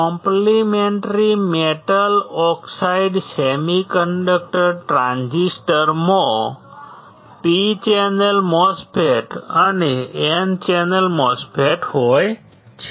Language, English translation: Gujarati, Complementary metal oxide semiconductor transistor consists of, P channel MOSFET and N channel MOSFET